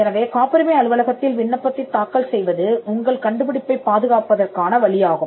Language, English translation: Tamil, So, filing an application before the patent office is a way to protect your invention